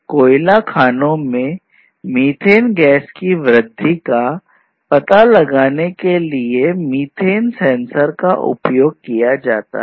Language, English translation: Hindi, So, for example, methane sensors are used in the mines to detect the increase in methane gas, possible increase in methane gas in coal mines